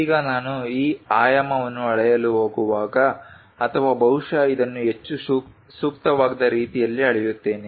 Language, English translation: Kannada, Now, when I am going to measure these dimension or perhaps this one in a more appropriate way